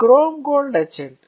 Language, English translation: Telugu, So, chrome gold etchant